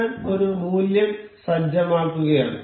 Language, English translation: Malayalam, I am setting a value